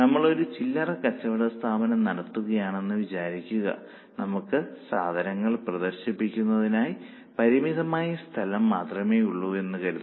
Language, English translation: Malayalam, Or suppose we are operating a retail store, we have to decide that we are having a limited space for display